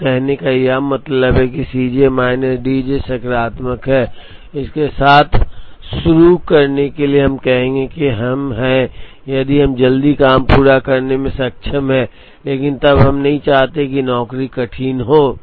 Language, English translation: Hindi, So, tardiness would mean that C j minus D j is positive, to begin with we would say that, we are if we are able to complete the job early, but then we do not want the job to be tardy